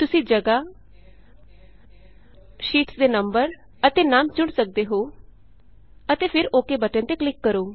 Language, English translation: Punjabi, You can choose the position, number of sheets and the name and then click on the OK button